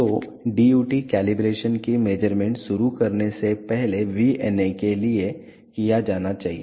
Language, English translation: Hindi, So, before starting the measurements of the DUT calibration has to be done for the VNA